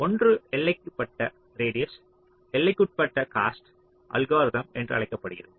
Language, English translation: Tamil, so one is called the bounded radius bounded cost algorithm